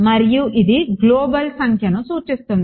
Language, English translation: Telugu, And this refers to the global number